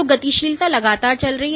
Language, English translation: Hindi, So, dynamics is continuously going on